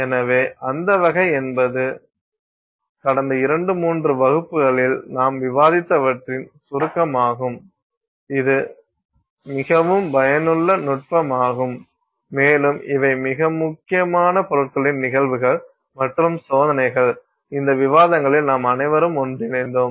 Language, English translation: Tamil, So, I think that sort of is a summary of what we have discussed in the last two, three classes and it's a very useful technique and also these are very important materials phenomena and tests which all sort of come together in these, you know, discussions that we have had